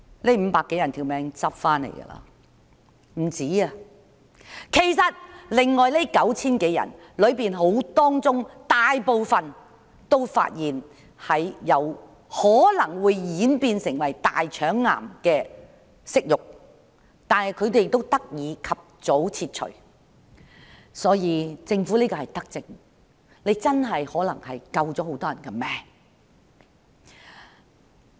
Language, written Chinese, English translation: Cantonese, 其實，撿回性命的不止他們，其餘的 9,000 多人當中，大部分都被發現有可能會演變成大腸癌的瘜肉，但因為這個計劃，他們得以及早切除瘜肉。, In fact they were not the only ones who had their life saved . Among the rest 9 000 - odd people most of them were found to have polyps which might evolve into colorectal cancer . Because of this plan they had their polyps removed early